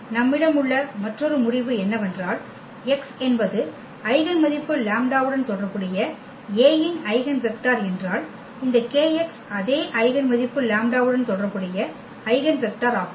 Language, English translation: Tamil, So, another result we have they said if x is an eigenvector of A corresponding to the eigenvalue lambda, then this kx is also the eigenvector corresponding to the same eigenvalue lambda